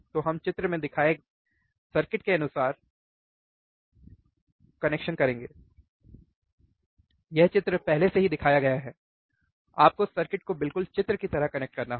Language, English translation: Hindi, So, let us see here connect the circuit as shown in figure, this figure is already shown, you have to connect the circuit exactly like a figure